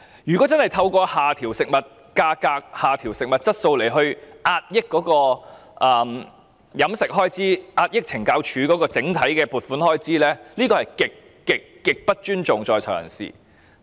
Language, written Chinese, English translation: Cantonese, 如果透過下調食物質素壓抑膳食開支，從而壓抑懲教署的整體撥款開支，這是極度不尊重在囚人士的。, If the food quality is lowered to suppress the expenditure on meal provisions and hence suppress the overall funding and expenditure for CSD this would be most disrespectful to persons in custody